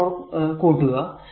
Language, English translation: Malayalam, 44 will come